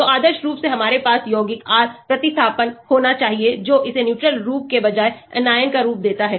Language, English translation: Hindi, so ideally we should have compounds, the R substitution which makes it the anion form rather than the neutral form